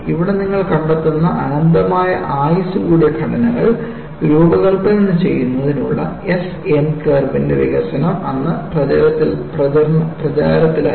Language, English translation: Malayalam, So, what you find here is the development of S N curve for designing structures with infinite life came into vogue then